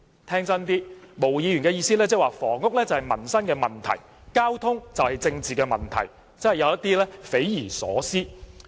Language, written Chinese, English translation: Cantonese, 聽真一點，毛議員的意思是房屋是民生問題，交通是政治問題，真的有點匪夷所思。, Ms MO is saying that housing is a livelihood issue while transport is a political issue which is rather unimaginable